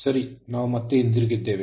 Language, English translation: Kannada, Ok, we are back again